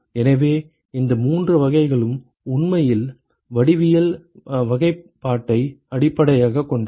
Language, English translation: Tamil, So, this three types is actually based on geometric classification